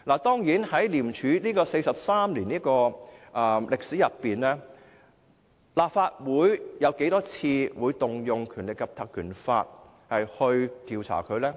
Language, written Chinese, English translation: Cantonese, 在廉署的43年歷史中，立法會曾多少次引用《立法會條例》進行調查呢？, Throughout the 43 years of ICACs history how many times has the Legislative Council invoked the Legislative Council Ordinance to conduct an inquiry?